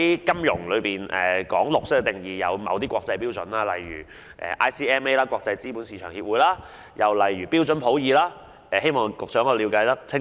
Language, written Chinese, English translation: Cantonese, 金融界對"綠色"的定義是有某些國際標準的，例如國際資本市場協會和標準普爾的定義，希望局長可以了解清楚。, The definition of green adopted by the financial sector is in line with certain international standards such as the definitions set by the International Capital Market Association and Standard and Poors and I hope the Secretary will have a clear idea of that